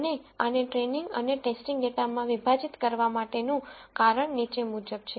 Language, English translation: Gujarati, And the reason for splitting this into training and test data is the following